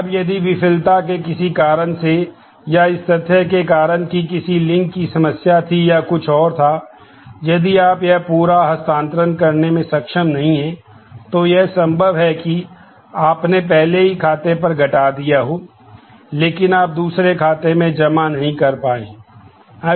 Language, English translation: Hindi, Now, if for some reason of failure or because of the fact that there was link issues or something, if you are not able to make this whole transfer, then it is possible that you have already debited the account, but you have not been able to credit that account